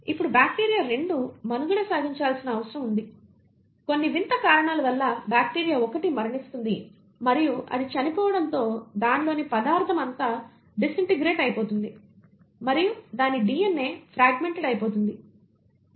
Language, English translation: Telugu, Now bacteria 2 is needs to survive and for some strange reason, the bacteria 1 has either died and as its dies all its material is disintegrating and then its DNA gets fragmented